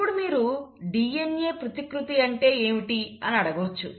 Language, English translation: Telugu, Now, you may ask me what is DNA replication